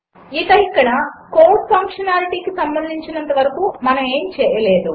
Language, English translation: Telugu, And here as far as the code functionality is concerned, we didnt do anything